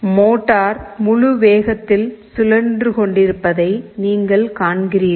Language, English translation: Tamil, You see motor is rotating in the full speed